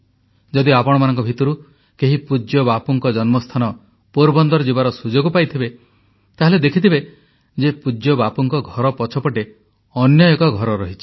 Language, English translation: Odia, If any of you gets an opportunity to go to Porbandar, the place of birth of revered Bapu, then there is a house behind the house of revered Bapu, where a 200year old water tank still exists